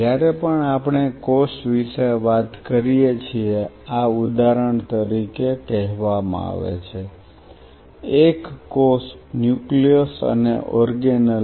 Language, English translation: Gujarati, Whenever we talked about a cell, this is said for example, a cell the nucleus and the organelle